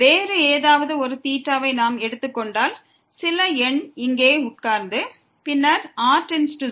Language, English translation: Tamil, If we take any other theta so, some number will be sitting here and then goes to 0